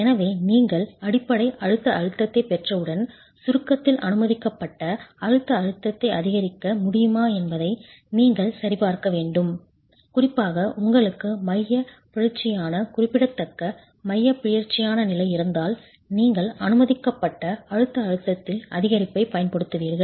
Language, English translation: Tamil, So, once you have the basic compressive stress, you need to check if permissible compressive stress in compression can be augmented, particularly if you have a condition of eccentricity, significant eccentricity above 1 in 24, you will apply an increase in the permissible compressive stress